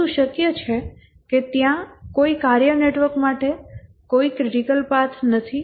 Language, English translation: Gujarati, But is it possible that there is no critical path for a task network